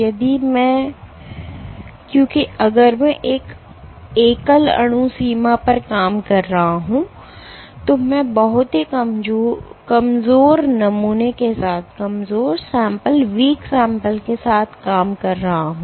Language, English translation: Hindi, If I because if I am operating at the single molecule limit I am working with a very dilute specimen